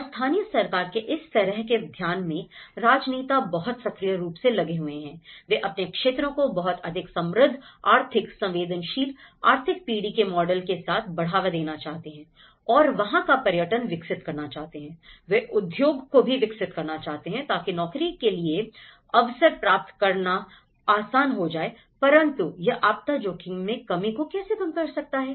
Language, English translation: Hindi, And in this kind of focus of the local government, the politicians are very much actively engaged in, they want to promote their areas with much more rich economic, sensitive economic generation models you know, they want to develop tourism, they want to develop some of the industries to get the job opportunities but how it will have an impact, how it will can reduce the disaster risk reduction